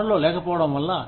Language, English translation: Telugu, Because of the lack of resources